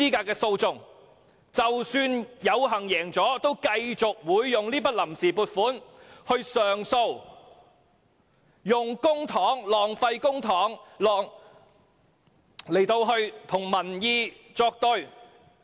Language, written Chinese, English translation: Cantonese, 即使敗訴，政府仍會繼續使用這筆臨時撥款進行上訴，耗費公帑與民意作對。, Even if the Government loses the case it will continue to use the funds on account for lodging appeals using public money to counter members of the public